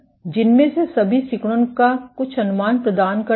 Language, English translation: Hindi, All of which provide some estimate of contractility